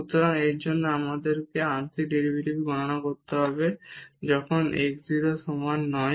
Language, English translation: Bengali, So, we have the existence of the partial derivative with respect to x